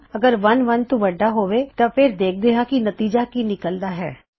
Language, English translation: Punjabi, IF 1 is greater than 1 then lets see what result we get